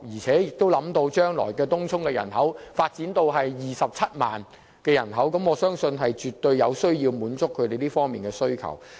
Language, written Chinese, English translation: Cantonese, 考慮到東涌的人口將會增加至27萬人，當局絕對有必要滿足區內居民這方面的需求。, Considering the increase in Tung Chungs population to 270 000 people in the future it is essential for the authorities to cope with the demand of the local residents in this regard